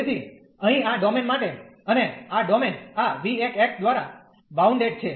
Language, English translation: Gujarati, So, for this domain here and this domain is bounded by this v 1 x